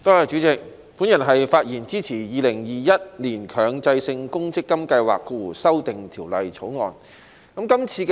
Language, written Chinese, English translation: Cantonese, 我發言支持《2021年強制性公積金計劃條例草案》。, I speak in support of the Mandatory Provident Fund Schemes Amendment Bill 2021 the Bill